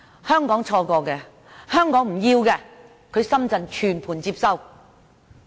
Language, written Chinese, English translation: Cantonese, 香港錯過的、香港不要的、深圳全盤接收。, What Hong Kong missed or discarded Shenzhen accepted them all